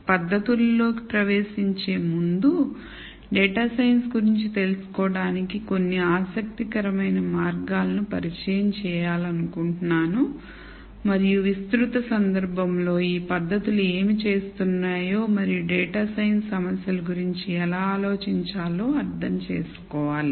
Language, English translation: Telugu, Before we jump into the techniques I would like to introduce some interesting ways of looking at data science and in a broader context understand what these techniques are doing and how one should think about data science problems